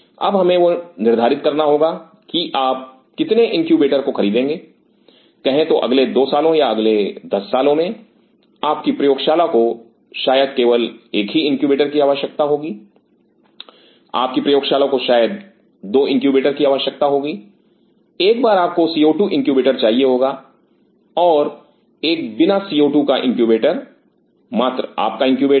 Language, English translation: Hindi, Now, we have to decide that how many incubators you will buying say for next 2 years or in next 10 years your lam may need only one incubator, your lam may need 2 incubators you may need once co 2 incubators, another without co 2 incubator just your incubator